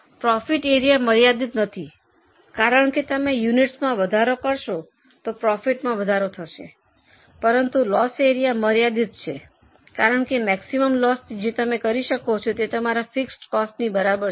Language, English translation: Gujarati, As you can increase your units, your profits will go on increasing but loss area is relatively limited because maximum loss which you can make here is equal to your fixed cost